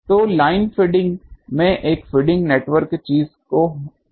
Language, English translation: Hindi, So, there should be a feeding network in the line feeding one of the things